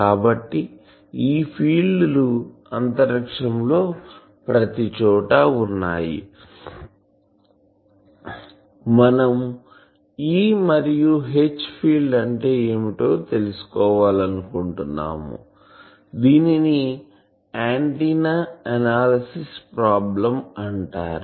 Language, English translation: Telugu, So, these everywhere in space we want to find what is the E and H field, this is called the problem of antenna analysis